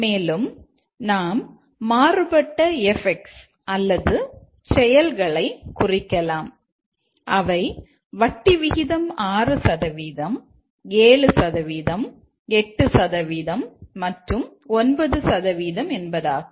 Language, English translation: Tamil, And we also note down the different effects or the actions which are whether the rate applicable is 6%, 7%, 8% and 9%